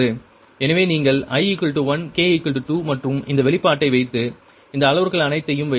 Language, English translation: Tamil, put i is equal to one, k is equal two, and this expression and put all these parameters, you will get q one, two actually is equal point eight, nine, four, eight